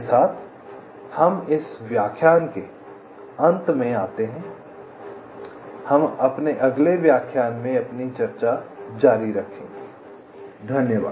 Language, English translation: Hindi, so we shall be continuing with our discussion in the next lecture